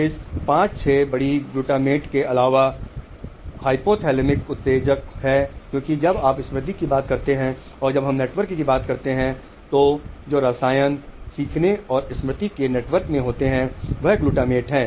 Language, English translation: Hindi, In addition to this 5 6 big glutamate is excitatory because when we will talk of memory and when we talk of network the chemical switch in those network of learning and memory is glutamate